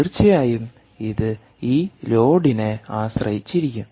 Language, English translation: Malayalam, of course it will depend on this